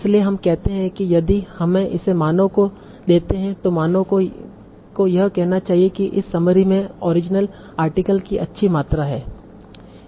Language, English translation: Hindi, So we say, okay, if you give it to a human, so human should say, okay, this summary contains the good amount of information from the original article